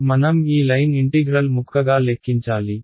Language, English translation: Telugu, I have calculated this line integral piece by piece